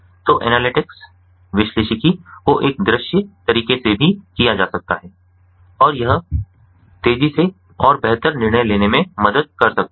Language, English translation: Hindi, so the analytics can also be performed in a visual manner and that can help in faster and better decision making